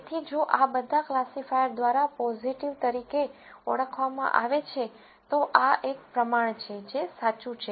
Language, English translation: Gujarati, So, if all of these are identified as positive by the classifier, there is a proportion of this, which is correct